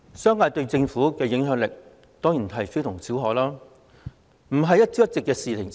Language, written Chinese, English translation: Cantonese, 商界對政府的影響力當然非同小可，這不是一朝一夕的事情。, The business sector certainly has a significant influence on the Government and this does not happen overnight